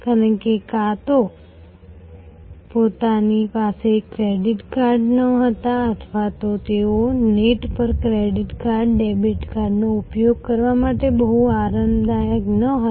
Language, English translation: Gujarati, Because, either they did not have credit cards or they were not very comfortable to use credit cards, debit cards on the net